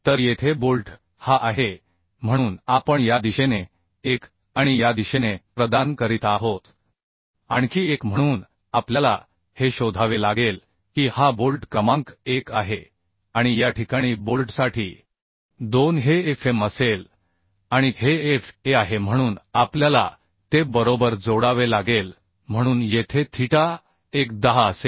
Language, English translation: Marathi, 306P So here the bolt is this so we are providing in this direction one and in this direction another one so we have to find out the this is bolt number 1 and in this case for bolt 2 this will be Fm and this is Fa so we have to add it right so here theta 1 will be 10 inverse 60 by 50 right so it is 50